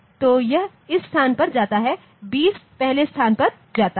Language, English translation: Hindi, So, it goes to this location 2 0 goes to the next location